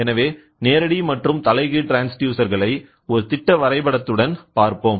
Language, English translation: Tamil, So, direct and inverse transducer let us see with a schematic diagram